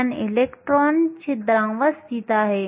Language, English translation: Marathi, 54 electron holes above the valence band